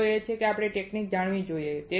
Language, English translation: Gujarati, The point is that we should know this technique